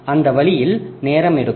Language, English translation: Tamil, So, that way it takes time